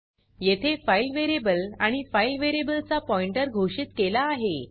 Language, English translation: Marathi, Here, a file variable and a pointer to the file variable is defined